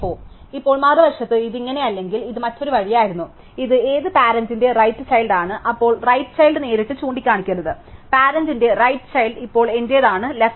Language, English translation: Malayalam, Now, on the other hand if it was not like this, but it was the other way, so this happened to be a right child of which parent, then the right child should not point directly, the right child of the parent is now my left child